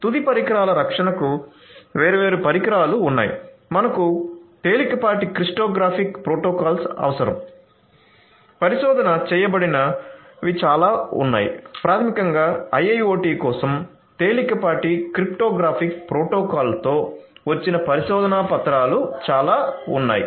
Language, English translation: Telugu, So, there are different solutions for end devices protection we need lightweight cryptographic protocols there are many that have been researched there are a lot of research papers that basically come up with lightweight research lightweight cryptographic protocols for IIoT